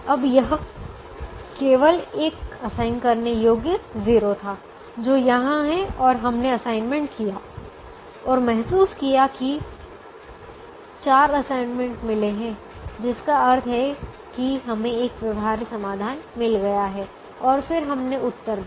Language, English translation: Hindi, now this had only one assignable zero, which is here, and we made the assignment and realize that we have got four assignments, which means we have i got a feasible solution and then we gave the answer